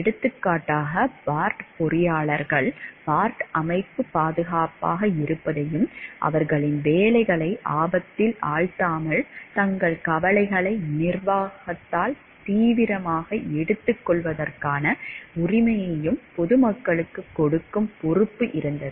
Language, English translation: Tamil, For example, the Bart engineers had a responsibility to the public to see that the Bart system was safe and the right to have their concerns taken seriously by management without risking their jobs